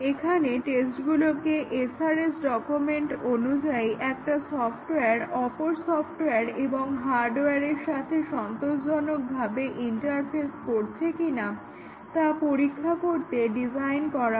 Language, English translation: Bengali, Here the tests are designed to test, whether the software interfaces with other software and hardware as specified in the SRS document satisfactorily